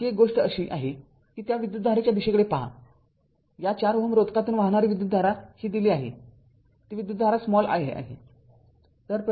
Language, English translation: Marathi, Now another another thing is this look at the your what you call the direction of the current, the current flowing through this 4 ohm resistance it is given it is taken as i right